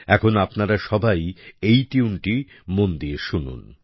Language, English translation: Bengali, Listen carefully now to this tune